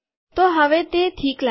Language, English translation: Gujarati, So now it looks okay